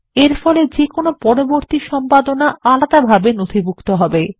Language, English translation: Bengali, This will enable any subsequent editing to be recorded distinctly